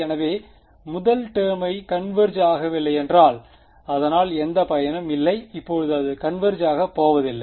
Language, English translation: Tamil, So, if the first term itself does not converge there is no point going for that now its not going to converge